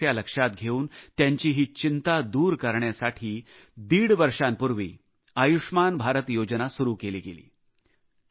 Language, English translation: Marathi, Realizing this distress, the 'Ayushman Bharat' scheme was launched about one and a half years ago to ameliorate this constant worry